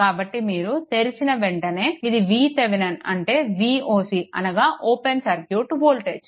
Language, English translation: Telugu, So, as soon as you open it, this is V Thevenin means V o c that is open circuit